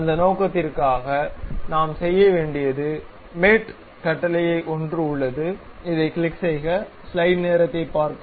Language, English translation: Tamil, For that purpose, what we have to do, there is something like mate command, click this one